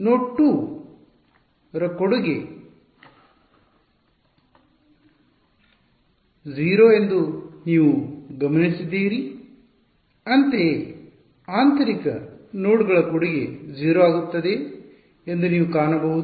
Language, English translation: Kannada, You notice that the contribution from node 2 was 0 so; similarly you will find that the contribution from interior nodes becomes 0 ok